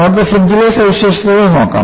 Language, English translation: Malayalam, Let us, look at the features of the fringe